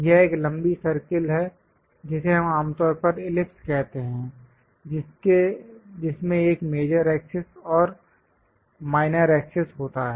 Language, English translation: Hindi, This is elongated circle which we usually call ellipse, having major axis and minor axis